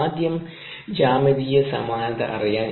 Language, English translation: Malayalam, we will have geometric similarity